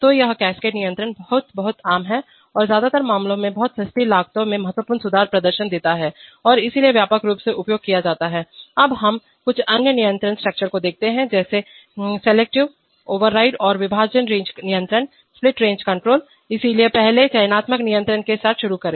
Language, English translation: Hindi, So this is cascade control very, very common and give significant performance in improvements over very affordable costs, in most cases and therefore a widely used, now we look at some other control structures namely selective override and split range control, so first start with selective control